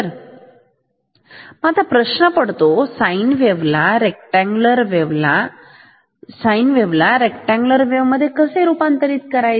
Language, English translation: Marathi, So, now, the question is how to convert a sine wave into a rectangular wave